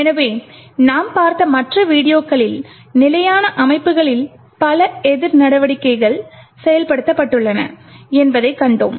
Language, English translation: Tamil, So, in the other videos that we have looked at we have seen that there are several countermeasures that have been implemented in standard systems